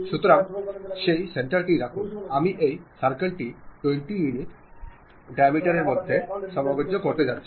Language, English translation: Bengali, So, keep that center, I am going to adjust this circle to 20 units 20 diameters